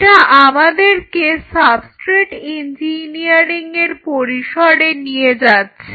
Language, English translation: Bengali, Now that will take us to the domain of substrate engineering